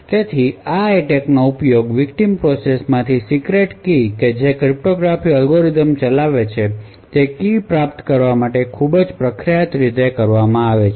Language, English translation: Gujarati, So this attacks has been used very famously retrieve a secret keys from a victim process which is executing a cryptographic algorithm